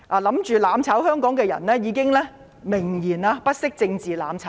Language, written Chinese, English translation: Cantonese, 企圖"攬炒"香港的人已經明言，不惜政治"攬炒"。, Those who want mutual destruction have made it clear that they even want mutual destruction politically at all costs